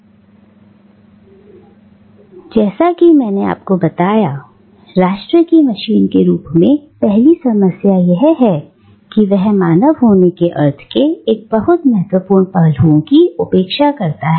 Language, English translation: Hindi, So, as I told you, the first problem with nation as machine is it disregards a very significant aspect of what it means to be a human